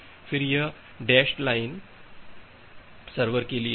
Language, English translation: Hindi, Then, this dashed line is for the server